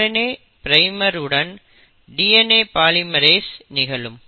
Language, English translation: Tamil, So basically this is a requirement of a DNA polymerase